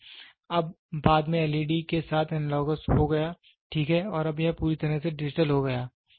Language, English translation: Hindi, So, now, then later it became analogous with led, right and now it has become completely digital